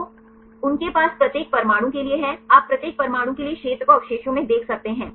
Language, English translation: Hindi, So, they have for each atoms you can see the area for each atom in a residue